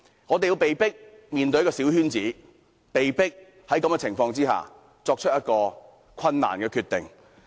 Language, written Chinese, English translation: Cantonese, 我們被迫面對小圈子選舉，也被迫作出困難的決定。, We are forced to be involved in the coterie election and we are forced to make difficult decisions